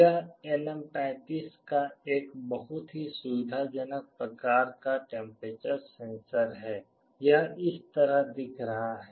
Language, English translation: Hindi, This LM35 is a very convenient kind of a temperature sensor; it looks like this